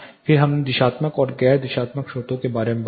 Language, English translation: Hindi, Then we talked about directional and non directional sources